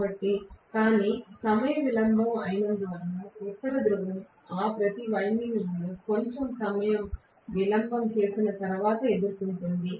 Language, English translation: Telugu, But they are time delayed because of the fact that the North Pole faces each of those windings after a little bit of time delay